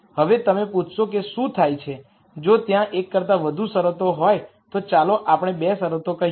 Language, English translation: Gujarati, Now, you might ask what happens, if there are there is more than one con straint there are let us say 2 constraints